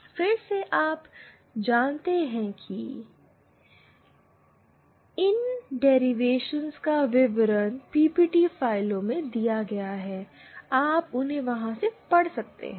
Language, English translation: Hindi, Again you know the details of these derivations are given in the PPT files, you can go through them